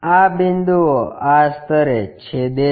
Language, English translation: Gujarati, These points intersect at this level